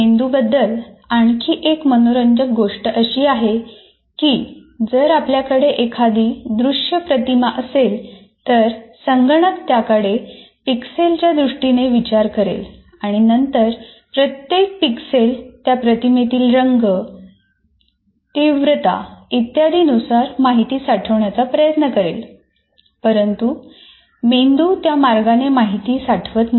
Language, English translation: Marathi, The other interesting thing about the brain is it is like if you have a visual image possibly in a computer will take care of, look at it in terms of pixels and then try to save each pixel with the with regard to the whatever information that you have about the colors in intensity and so on